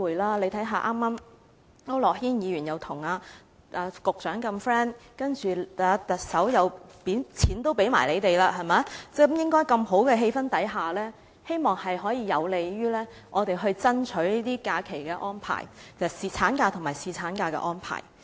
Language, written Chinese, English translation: Cantonese, 大家看一看，區諾軒議員跟局長如此友好，特首甚至錢也捐給他們，在氣氛如此良好的情況下，希望會有利於我們爭取這些假期安排，即產假和侍產假的安排。, If Members take a look they will find that Mr AU Nok - hin is on very friendly terms with the Secretary and the Chief Executive even donated money to them . I hope that such a good atmosphere will be conducive to our lobbying for those leave arrangements that is the arrangements for maternity leave and paternity leave